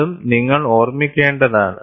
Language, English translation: Malayalam, That also, you have to keep in mind